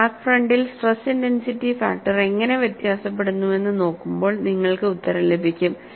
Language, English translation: Malayalam, You will get an answer, when you look at, how the stress intensity factor varies on the crack front